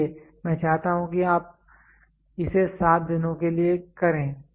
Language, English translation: Hindi, So, you I want you to do it for 7 days